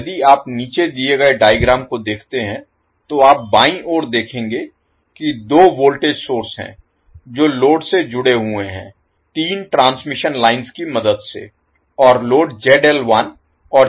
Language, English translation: Hindi, So, if you see the figure below, you will see on the left there are 2 voltage sources connected to the load with the help of 3 transmission lines and load Zl1 and Zl2 are connected